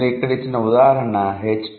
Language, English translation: Telugu, The example given here is doctor